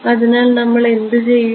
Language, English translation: Malayalam, So, what will we do